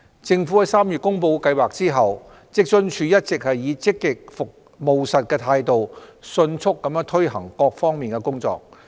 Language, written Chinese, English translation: Cantonese, 政府在3月公布計劃後，職津處一直以積極務實的態度迅速推行各項工作。, After the announcement of the Scheme in March WFAO has been pursuing various tasks promptly in a proactive and pragmatic manner